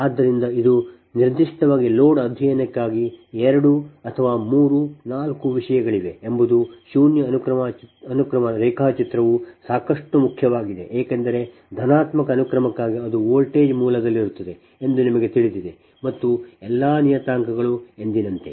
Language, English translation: Kannada, so question is that this is two or there is three, four things for your, for particularly the false studies, the zero sequence diagram is your quite important because for positive sequence, you know it will be in voltage source will be there and all the parameters as usual